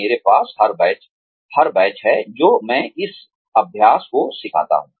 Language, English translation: Hindi, I have every batch, that I teach to this exercise